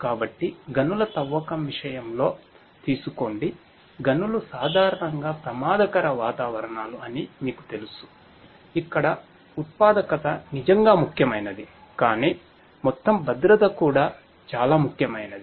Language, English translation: Telugu, So, take the case of mining, in mines as you know that mines typically are risky environments where productivity is indeed important, but overall safety is also very important